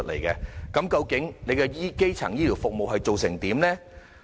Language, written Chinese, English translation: Cantonese, 究竟政府推行基層醫療服務的情況如何？, What has the Government been doing for primary health care services?